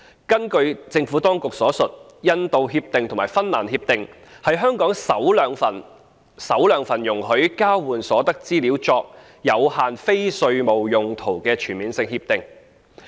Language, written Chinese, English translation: Cantonese, 根據政府當局所述，《印度協定》及《芬蘭協定》是香港首兩份容許將交換所得資料作有限非稅務用途的全面性協定。, According to the Administration the Indian Agreement and the Finnish Agreement are the first two CDTAs signed by Hong Kong which will allow the use of the exchanged information for limited non - tax related purposes